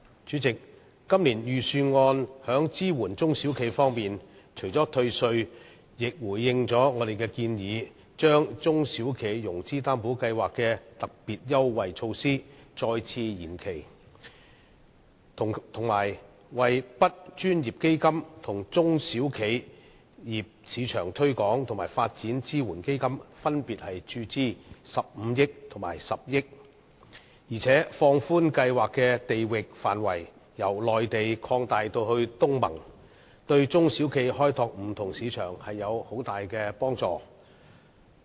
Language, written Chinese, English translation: Cantonese, 主席，今年的財政預算案在支援中小企方面除了退稅外，亦回應了我們的建議，把中小企融資擔保計劃的特別優惠措施再次延期，以及向 BUD 專項基金和中小企業市場推廣和發展支援基金分別注資15億元和10億元，並放寬計劃的地域範圍，由內地擴大至東盟，這對中小企開拓不同市場有很大幫助。, Chairman in respect of support for small and medium enterprises SMEs the Budget this year has offered a tax rebate . More so in response to our proposals the authorities have proposed to further extend the application period of the Special Concessionary Measures under the SME Financing Guarantee Scheme inject 1.5 billion into the Dedicated Fund on Branding Upgrading and Domestic Sales BUD Fund and 1 billion into the SME Export Marketing and Development Funds and extend the geographical scope of the schemes from the Mainland to include the ASEAN countries which will offer considerable assistance to SMEs in exploring different markets